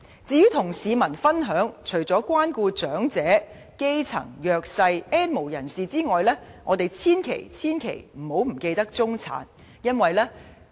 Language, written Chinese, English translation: Cantonese, 至於與市民分享方面，除了關顧長者、基層、弱勢、"N 無人士"外，我們千萬不要忘記中產。, With regard to sharing economic benefits with the people apart from caring for the elderly the grass roots the disadvantaged and the N have - nots we must never forget the middle class